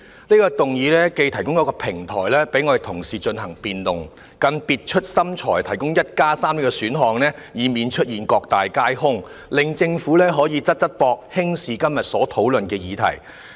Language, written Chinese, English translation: Cantonese, 這項議案既提供平台讓同事進行辯論，更別出心裁地提出 "1+3" 的選項，以免出現各大皆空的情況，令政府可以"側側膊"輕視今天所討論的議題。, Not only does this motion provide a platform for Honourable colleagues to engage in a debate; an ingenious 13 option is also offered to pre - empt the situation of the motion and all the amendments failing to win any support in which case the Government can shirk its responsibility and attach little importance to the subject matter under discussion today